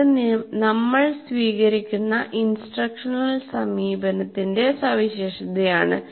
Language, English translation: Malayalam, That characterizes the particular instructional approach that we are taking